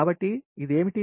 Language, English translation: Telugu, so what is this